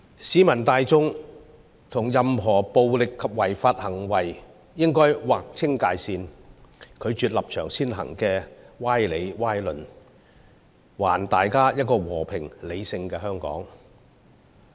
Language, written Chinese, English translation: Cantonese, 市民大眾應與任何暴力及違法行為劃清界線，拒絕立場先行的歪理和歪論，還大家一個和平理性的香港。, Members of the public should break ranks with any violent and unlawful activities and say no to any preposterous reasoning or argument that puts political stances above everything so as to restore Hong Kong back to a peaceful and sensible place